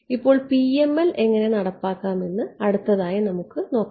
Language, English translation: Malayalam, So now, next is we will look at how to implement PML